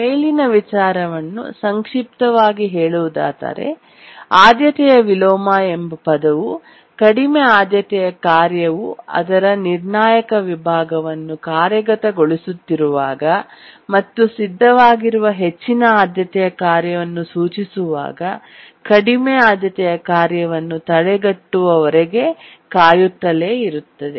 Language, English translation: Kannada, The term priority inversion implies that when a low priority task is executing its critical section and a high priority task that is ready keeps on waiting until the low priority task can be preempted